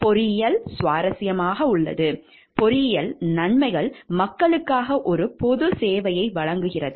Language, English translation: Tamil, Engineering is enjoyable, engineering benefits people provides a public service